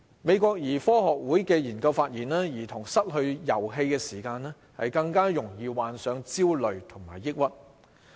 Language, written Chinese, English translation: Cantonese, 美國兒科學會的研究發現，兒童失去遊戲時間，更易患上焦慮和抑鬱。, A research study conducted by the American Academy of Paediatrics shows that children are more likely to have anxiety and depression if they are deprived of play time